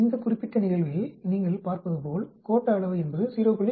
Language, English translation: Tamil, In this particular case as you can see skewness is 0